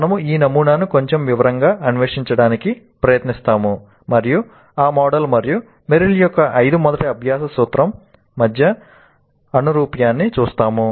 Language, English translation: Telugu, We will try to explore that model in a little bit more detail and see the correspondence between that model and Merrill's five first principles of learning